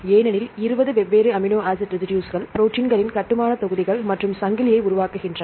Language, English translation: Tamil, See and how they form a protein chain, 20 different amino acid residues, they are the building blocks of proteins and how they form a protein chain